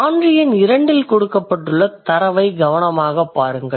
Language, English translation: Tamil, Look at the data carefully given in the example number two